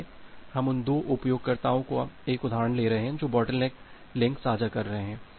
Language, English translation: Hindi, So, we are taking an example of 2 users who are sharing the bottleneck link